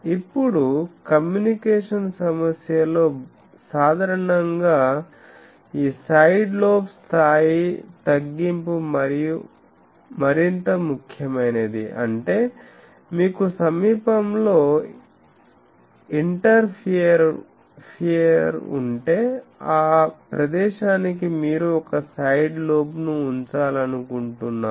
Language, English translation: Telugu, Now, in a communication problem generally this side lobe level reduction is more important; that means, if you have an interferer nearby then you want to put a side lobe to that place that is more important